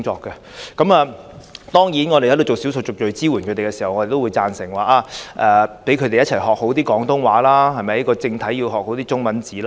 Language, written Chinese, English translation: Cantonese, 他們為少數族裔提供支援時，也會認同應讓他們學好廣東話和正體中文字。, When rendering support to ethnic minorities these colleagues also agree that assistance should be provided for them to learn Cantonese and traditional Chinese characters